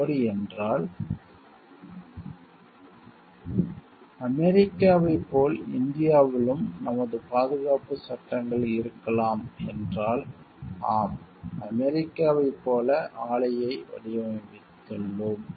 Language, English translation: Tamil, If it is so like may be our safety laws in India as frequency US if he has designed the plant as in US